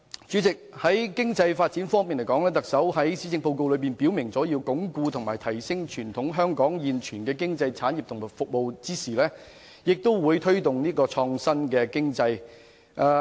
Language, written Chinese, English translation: Cantonese, 在經濟發展方面，特首在施政報告中表明，在鞏固和提升傳統經濟產業和服務的同時，亦會推動創新經濟。, With regard to economic development the Chief Executive has expressly stated in her Policy Address that the Government would promote innovative economy while consolidating and enhancing the traditional economic industries and services